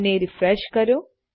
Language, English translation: Gujarati, And lets refresh that